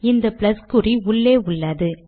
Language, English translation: Tamil, Okay, this plus is now inside